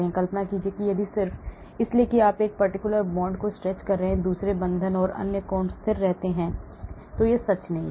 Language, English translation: Hindi, imagine that just because you are stretching a particular bond, the other bonds and other angles remains constant, that is not true